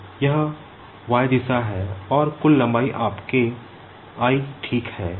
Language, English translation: Hindi, Now this is the y direction and the total length is your l ok